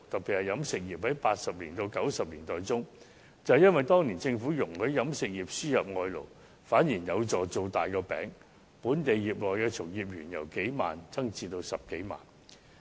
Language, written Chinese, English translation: Cantonese, 以飲食業為例，在80年代至90年代，由於政府容許飲食業輸入外勞，反而有助"造大個餅"，本地飲食業從業員的人數由數萬人增至10多萬人。, Take the catering industry as an example . In the 1980s and 1990s since the government allowed the catering industry to import labour it helped enlarge the pie with the number of local catering workers rising from a few dozens of thousands to over a hundred thousand